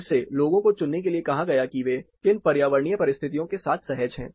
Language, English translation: Hindi, Again people were asked to choose, which conditions environmental conditions they are comfortable with